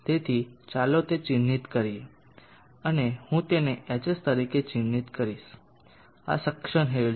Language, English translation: Gujarati, So let us mark that and I will mark that one as Hs, this is the suction head